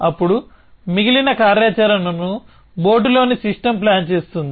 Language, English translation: Telugu, Then the rest of the activity is planned by the system on board